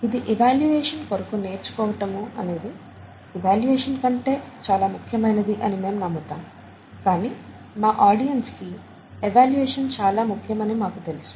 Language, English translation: Telugu, The learning is much more important than the evaluation is what we believe, but we also know that the evaluation is important for our audience